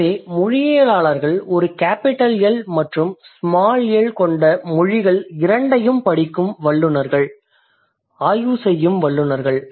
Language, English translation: Tamil, So, linguists are the specialists who study both language with a big L and languages with small L